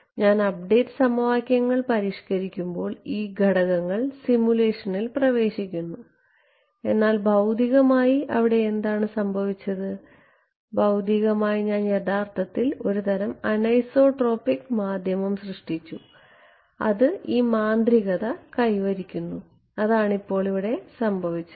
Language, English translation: Malayalam, When I modify the update equations these parameters enter inside the simulation, but physically what has happened physically I have actually created some kind of a anisotropic medium which is accomplishing this magic that is what has happened ok